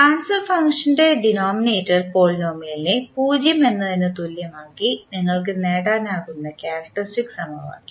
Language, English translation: Malayalam, The characteristic equation you can obtain by equating the denominator polynomial of the transform function equal to 0